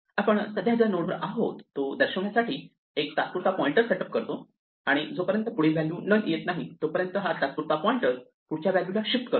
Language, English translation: Marathi, We set up a temporary pointer to point to the current node that we are at and so long as the next is none we keep shifting temp to the next value